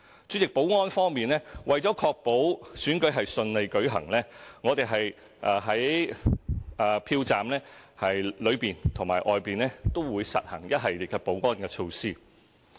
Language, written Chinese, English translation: Cantonese, 主席，在保安方面，為確保選舉順利舉行，我們在票站內外都會實行一系列保安措施。, President in respect of security to ensure the smooth conduct of elections we will take a series of security measures inside and outside the polling station